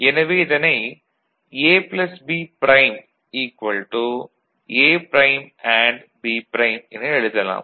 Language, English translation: Tamil, So, we can write this A plus B prime as A prime AND B prime as well – ok